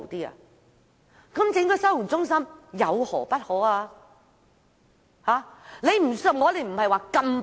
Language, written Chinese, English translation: Cantonese, 那麼成立收容中心又有何不可呢？, If that is the case why is a holding centre not a feasible option?